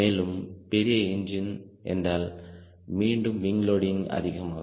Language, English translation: Tamil, bigger engine, bigger engine means again ah, wing loading will increase